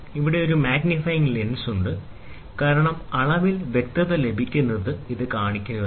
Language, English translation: Malayalam, Here is a magnifying lens, because in order to show the in order to have clarity in reading